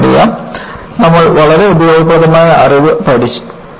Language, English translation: Malayalam, You know, you have learnt a very useful knowledge